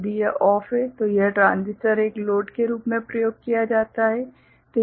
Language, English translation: Hindi, If this is OFF; so this is the transistor is used as a load